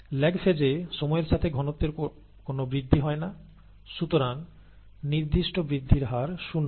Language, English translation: Bengali, In the lag phase, there is no increase in cell concentration over time, therefore the specific growth rate is zero